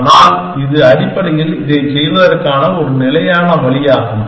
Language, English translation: Tamil, But, this is the kind of a standard way of doing this essentially